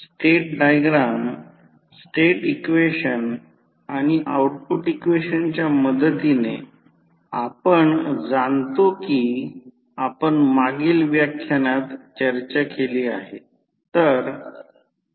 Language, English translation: Marathi, So, with the help of state diagram, state equation and output equation we know we have discussed in the previous lectures